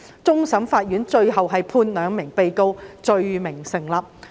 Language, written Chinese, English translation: Cantonese, 終審法院最終判兩名被告罪名成立。, CFA eventually found the two defendants guilty